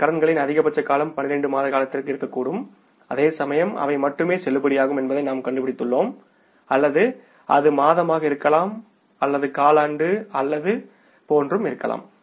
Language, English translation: Tamil, The duration of these liabilities maximum can be for a period of 12 months, whereas in this case we are finding they are only valid for or their life is maybe for a month or maybe a quarter or something like that